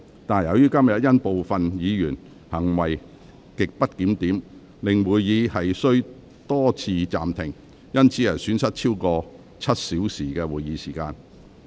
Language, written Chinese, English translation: Cantonese, 但由於今天部分議員行為極不檢點，令會議多次暫停，以致損失超過7小時的會議時間。, Yet due to the grossly disorderly behaviours of certain Members today the meeting has to be suspended a number of times resulting in a loss of over seven hours of meeting time